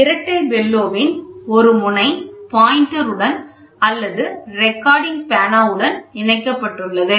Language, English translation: Tamil, One end of the double bellow is connected to the pointer or to the pen